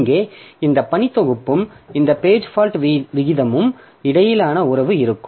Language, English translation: Tamil, So, there will be relationship between this working set and this page fault rate